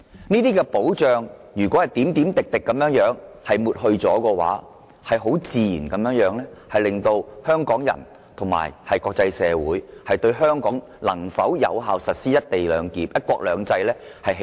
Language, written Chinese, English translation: Cantonese, 如果這些保障一點一滴地被抹去，自然會令香港人和國際社會質疑香港能否繼續有效實施"一國兩制"。, If this protection is eroded bit by bit Hong Kong people and the international community will naturally query if one country two systems can still be effectively implemented